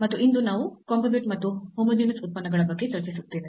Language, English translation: Kannada, And, today we will be discussing about a Composite Functions and Homogeneous Functions